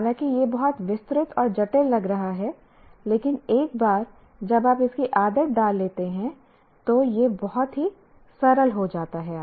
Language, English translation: Hindi, While this looks very too detailed and complicated, but once you get used to it, it is very simple arithmetic